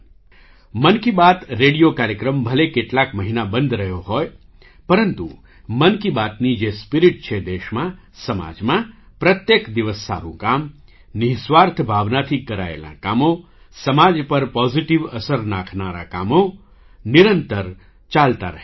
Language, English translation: Gujarati, The ‘Mann Ki Baat’ radio program may have been paused for a few months, but the spirit of ‘Mann Ki Baat’ in the country and society, touching upon the good work done every day, work done with selfless spirit, work having a positive impact on the society – carried on relentlessly